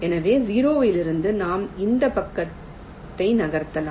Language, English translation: Tamil, so from zero we can move this side